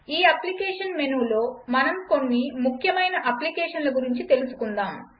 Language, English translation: Telugu, In this applications menu, lets get familiar with some important applications